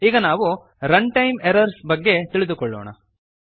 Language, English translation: Kannada, Lets now learn about runtime errors